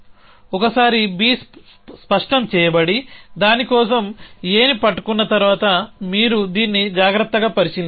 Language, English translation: Telugu, Once B is made clear and then holding A for that the action will be pick up A as you shall look at this carefully